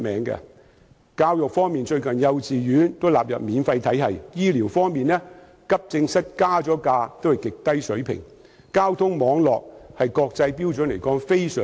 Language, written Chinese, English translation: Cantonese, 在教育方面，幼稚園最近也被納入免費體系；在醫療方面，即使急症室收費增加，但收費仍然在極低水平。, On the education front kindergarten has recently been included in the free system . On the health care front even though fees in accident and emergency departments have increased they are still at very low levels